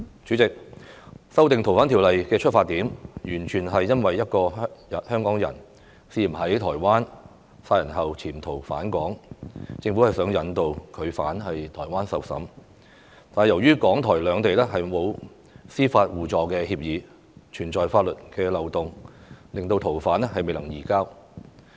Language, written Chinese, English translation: Cantonese, 主席，修訂《逃犯條例》的出發點，完全是因為一個香港人涉嫌在台灣殺人後潛逃返港，政府想引渡他到台灣受審，但由於港、台兩地沒有司法互助協議，存在法律漏洞，令逃犯未能移交。, President the amendments to FOO stemmed from the incident in which a Hongkonger absconded back to Hong Kong after having allegedly murdered someone in Taiwan . The Government is unable to extradite the suspect to Taiwan for trial due to the legal loophole of lacking a mutual legal assistance agreement between Hong Kong and Taiwan